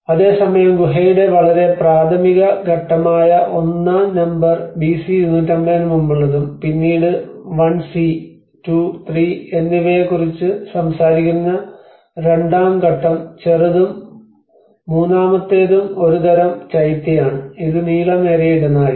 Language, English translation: Malayalam, \ \ And whereas where we talked about number 1 which is of a very rudimentary stage of a cave which is about dates back to pre 250 BC and then the phase II which talks about the 1c and 2 and 3 which is a smaller one and the third one is a kind of a Chaitya which is an elongated corridor